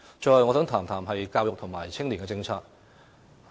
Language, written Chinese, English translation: Cantonese, 最後，我想談談教育和青年政策。, Lastly I would like to talk about education and youth policies